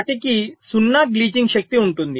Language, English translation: Telugu, they will have zero glitching power